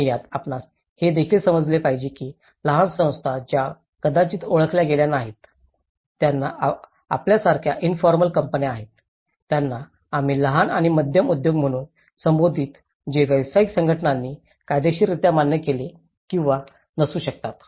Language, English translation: Marathi, And in this, you one has to also understand that the small bodies which may not have been recognized, which has about a informal companies like we call it as small and medium enterprises which may or may not legally recognized by the professional associations